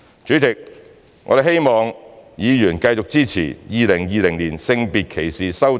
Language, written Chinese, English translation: Cantonese, 主席，我們希望議員繼續支持《條例草案》。, President we hope Members will continue to support the Bill